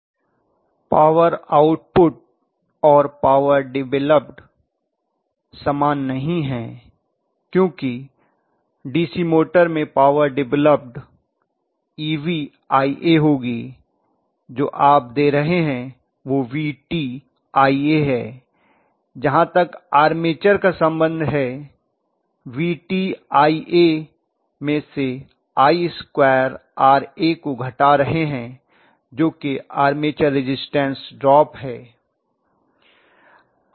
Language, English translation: Hindi, Power output and power developed or not the same because power developed in a DC motor will be EB multiplied by IA right, what you are giving is VT multiplied by IA as far as the armature is concerned, VT multiplied by IA you are subtracting IA square RA which is the armature resistance drop right